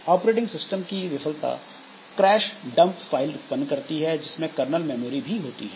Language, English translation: Hindi, So, operating system failure can generate crash dump file containing kernel memory